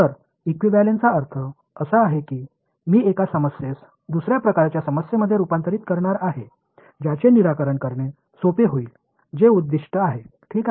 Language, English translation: Marathi, So, equivalence means I am going to convert one problem to another kind of problem which may be easier to solve that is the objective ok